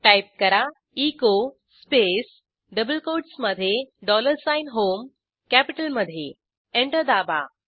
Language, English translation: Marathi, Type echo space within double quotes dollar sign HOME Press Enter